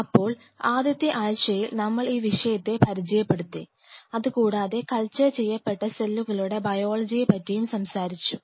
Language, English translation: Malayalam, So, in the first week, we introduced the subject and then we went on exploring the different aspect of the biology of the cultured cells